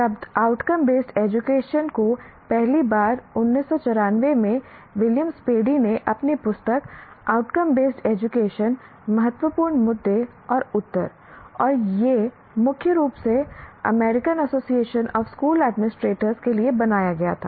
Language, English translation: Hindi, And the term outcome based education was first presented by Williams Paddy in 1994 through his book, Outcome Based Education, Critical Issues and Answers, and it was mainly meant for the, it was created for American Association of School Administrators